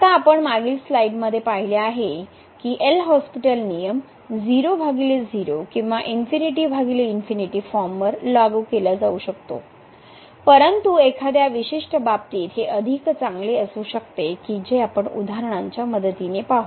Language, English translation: Marathi, Now, as we have seen in the last slide that although this L’Hospital rule can be apply to 0 by 0 or infinity by infinity form, but 1 may be better in a particular case this we will see with the help of example in a minute